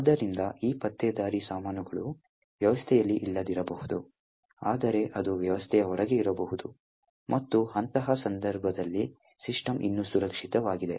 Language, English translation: Kannada, So, these spyware may not be present in the system, but it will be outside the system, and in such a case the system is still secure